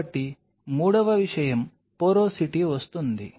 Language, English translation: Telugu, So, the third thing comes is the porosity